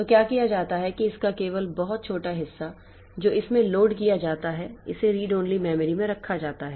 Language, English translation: Hindi, So, what is done is that only the very small part of it is loaded into is kept into this read only memory